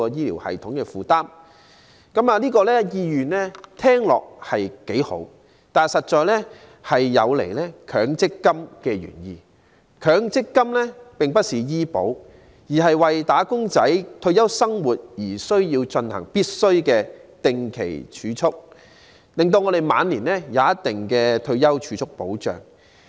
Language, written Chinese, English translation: Cantonese, 聽起來，其用意是好的，但實在有違強積金的原意，因為強積金並不是醫療保險，而是為"打工仔"的退休生活而進行的強制定期儲蓄，令他們晚年有一定的退休儲蓄保障。, This sounds good and is well - intentioned but it defeats the original intent of MPF because MPF is not medical insurance but a mandatory and fixed - term savings programme for retirement protection of wage earners who would then enjoy a certain degree of protection in their later years because these retirement savings